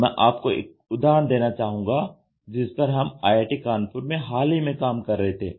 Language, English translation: Hindi, So, I would now try to tell you an example which we are recently working at IIT Kanpur